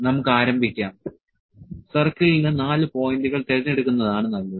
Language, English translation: Malayalam, We can start it with, for the circle 4 points are better to choose